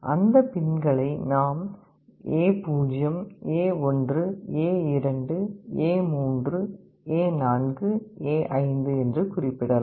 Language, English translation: Tamil, In that case those pin numbers we can refer to as A0 A1 A2 A3 A4 A5